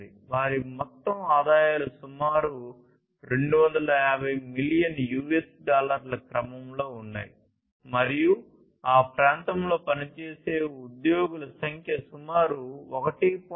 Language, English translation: Telugu, And their overall revenues were in the order of about 250 billion US dollars and the number of employees working in that area was about 1